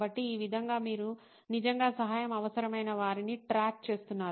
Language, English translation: Telugu, So this way you are actually tracking somebody who needs help